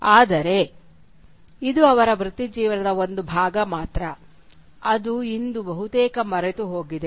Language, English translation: Kannada, But this is only one side of his career which is in fact almost forgotten today